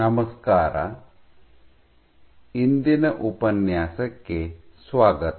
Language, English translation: Kannada, Hello and welcome to today’s lecture